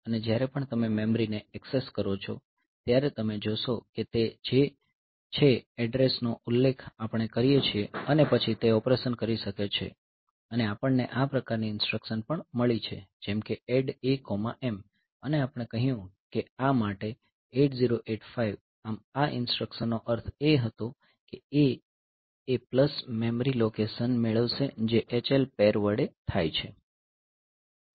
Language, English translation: Gujarati, So, and whenever you are accessing the memory so, you see that they are it is we can mention the address and then it can do the operation and also we also have got this is this type of instructions like ADD A comma M and we said that the for 8085 thus meaning of this instruction was A will get A plus memory location wanted to by the H1 pair so, this was the meaning ok